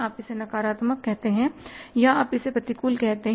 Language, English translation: Hindi, You can call it as negative, you can call it as adverse variance